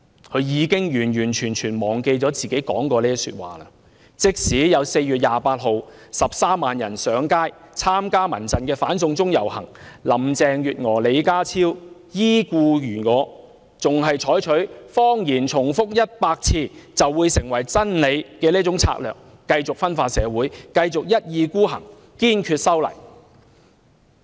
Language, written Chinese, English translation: Cantonese, 她已完全忘記自己曾說過這番話，即使在4月28日有13萬人參加民間人權陣線舉行的"反送中遊行"上街示威，林鄭月娥和李家超依然故我，依然採取那種"謊言重複100次便變成真理"的策略，繼續分化社會，繼續一意孤行，堅決修例。, She has completely forgotten these words of hers . Even when 130 000 people had joined the march organized by the Civil Human Rights Front on 28 April on No China Extradition Carrie LAM and John LEE stuck to their line adopted the practice that a lie repeated 100 times will become the truth continued sowing discord in society and insisted on having their way to amend the law unwavered